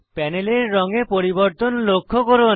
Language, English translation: Bengali, Observe the change in color on the panel